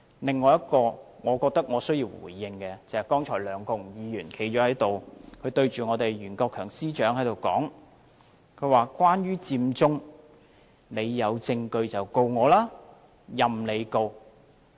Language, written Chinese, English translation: Cantonese, 另一個我覺得我需要回應的發言內容，就是剛才梁國雄議員站着，對袁國強司長說："關於佔中，你有證據就告我，任你告"。, There is another part in a speech which I feel obliged to respond to and that is the one made just now by Mr LEUNG Kwok - hung when he stood up and told Secretary for Justice Rimsky YUEN that As regards Occupy Central you can sue me if you have evidence . Sue me by all means